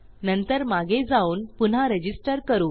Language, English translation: Marathi, Then I am going to go back and re register